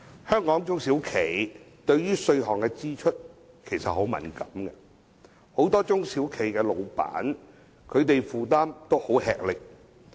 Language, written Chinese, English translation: Cantonese, 香港中小型企業對稅項的支出其實很敏感，很多中小企東主的負擔亦很沉重。, Hong Kongs SMEs are very sensitive to tax payments as the operators have very heavy financial burdens